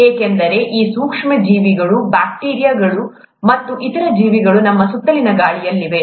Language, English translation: Kannada, That is because there is these micro organisms, bacteria, and other such organisms are in the air around us